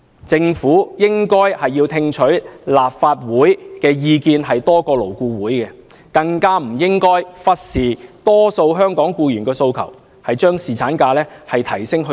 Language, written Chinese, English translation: Cantonese, 政府應該聽取立法會的意見多於勞顧會，更加不應忽視大多數香港僱員的訴求，理應把侍產假增加至7天。, The Government should attach more importance to the views of the Legislative Council than those of LAB and it should not disregard the demand of the majority of Hong Kong employees for seven days paternity leave